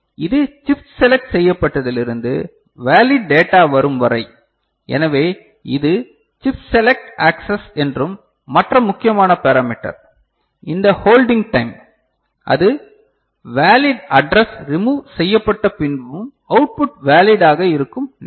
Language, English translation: Tamil, And this from chip select to valid data, so this is called chip select access and the other important parameter is this hold time right so, that is when the valid address has been removed right and but output remains valid